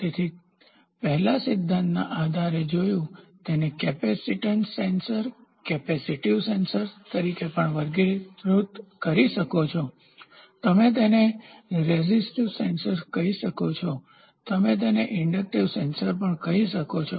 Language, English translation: Gujarati, So, before that we also saw based upon the principle, you can also classify it as capacitance sensor capacitive sensor, you can cell it as resistive sensor and you can also call it as inductive sensor you can call anyone of the sensor